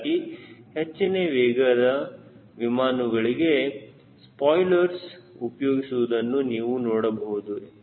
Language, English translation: Kannada, so for high speed aeroplane you see, people use spoilers